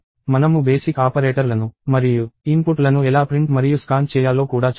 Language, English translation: Telugu, We also saw basic operators and how to print and scan inputs